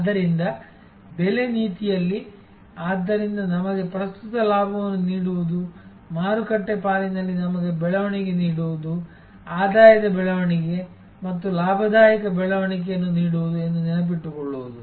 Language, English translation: Kannada, So, in pricing policy therefore to remembering that it is to give us current profit, give us growth in market share, give us revenue growth as well as profitability growth